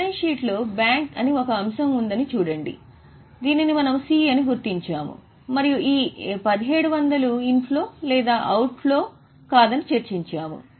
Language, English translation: Telugu, Look here balance sheet may an item that bank which we had marked as C and we had discussed that this 1,700 is not in flow or outflow